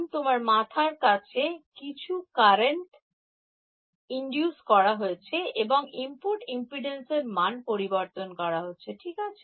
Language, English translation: Bengali, So, inducing some currents on your head and changing the input impedance right